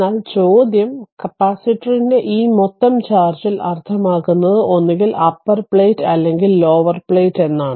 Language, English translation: Malayalam, But question is that when you say that total charge accumulated on this of the capacitor means it is either upper plate or at the lower plate right